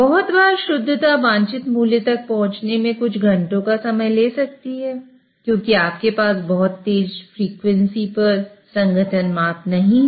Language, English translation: Hindi, So the purity a lot of times may take a few hours to get to the desired value simply because you do not have the composition measurements at a very fast frequency